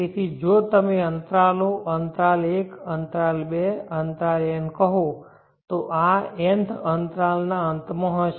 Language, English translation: Gujarati, So if you say these intervals, interval one, interval two, interval n this will be at the end of the nth interval